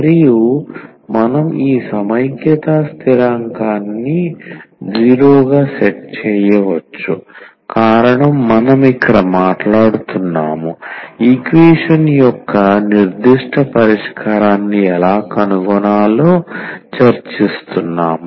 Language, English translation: Telugu, And we can set this constant of integration as 0, the reason is because we are talking about here or we are discussing how to find a particular solution of the differential equation